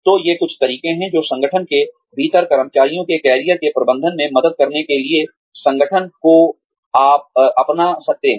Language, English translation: Hindi, So, these are some of the methods in the, that organizations can adopt, to help manage the careers of employees, within the organizations